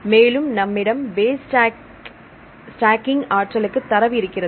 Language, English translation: Tamil, Now if you want to have the base stacking energy